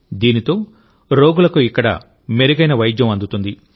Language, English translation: Telugu, With this, patients will be able to get better treatment here